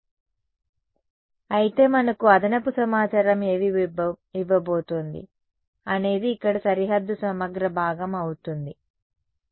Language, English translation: Telugu, So, but what will what is going to give us the additional information is going to be the boundary integral part over here ok